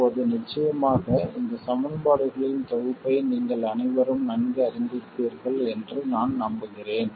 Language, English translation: Tamil, Now of course I am sure all of you are familiar with this set of equations